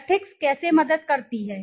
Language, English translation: Hindi, How does the ethic help